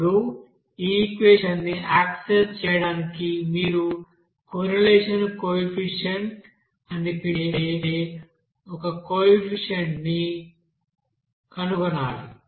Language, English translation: Telugu, Now to access this equation, you have to find out one coefficient that is called correlation coefficient